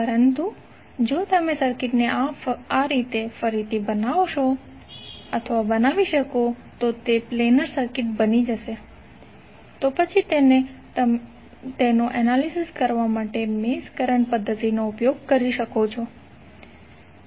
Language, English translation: Gujarati, But if you can redraw the circuit in such a way that it can become a planar circuit then you can use the mesh current method to analyse it